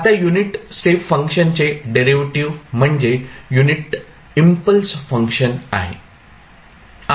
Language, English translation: Marathi, Now, derivative of the unit step function is the unit impulse function